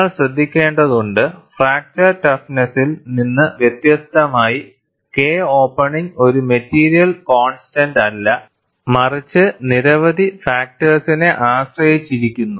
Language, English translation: Malayalam, And, you have to note, unlike the fracture toughness, K opening is not a material constant; but depends on a number of factors